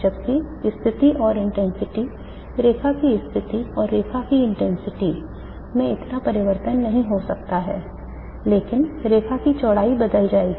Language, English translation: Hindi, Whereas the positions and intensities, the line positions and line intensities may not change that much but line bits will change